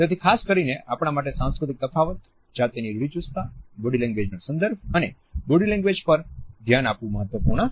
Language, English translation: Gujarati, It is therefore, particularly important for us to focus on the cultural differences, the gender stereotypes and the use of body language and the necessity of contextualizing our body language